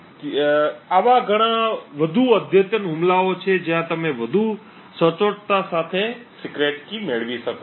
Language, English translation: Gujarati, There are much more advanced attack where you can get the secret key with much more accuracy